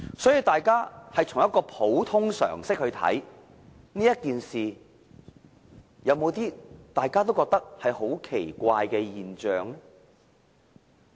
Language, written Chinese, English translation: Cantonese, 所以，大家憑普通常識來看這件事，是否也感到有些十分奇怪的現象呢？, For that reason even if we treat the matter with common sense isnt it normal for us to see that something is rather odd?